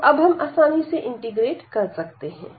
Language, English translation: Hindi, So now, we can easily integrate the inner one